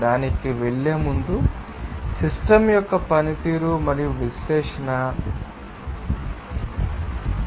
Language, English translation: Telugu, Before going to that, you know performance and analysis of the system